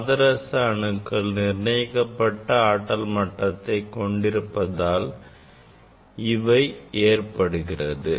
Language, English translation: Tamil, this is it may happen if this mercury atoms have discrete energy levels